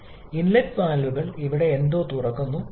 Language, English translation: Malayalam, Similarly, the inlet valves opens somewhere here